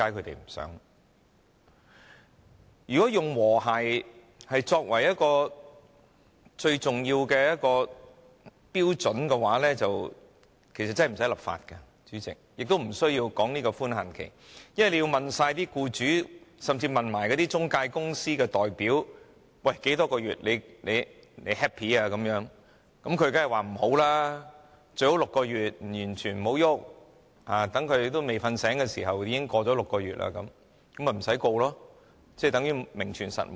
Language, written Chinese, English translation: Cantonese, 主席，如果以和諧作為一個最重要的標準，其實便不需要立法，亦不需要討論寬限期，因為如果要詢問所有僱主甚至中介公司的代表多少個月的檢控時限他們才覺滿意，他們當然會說最好是6個月，完全不要改動，一下子便已經過了6個月，那他們便不會被控告，法例等於名存實亡。, Chairman if harmony is a most important standard actually legislation would not be necessary; nor would it be necessary to hold discussions on the time limit . It is because if all the employers and even representatives of the intermediaries are asked in how many months the prosecution period should lapse in order for them to feel happy they would certainly say that the best would be six months and no changes should be made for six months would be passed in a blink of an eye and no charges could be laid against them thus rendering the law virtually non - existent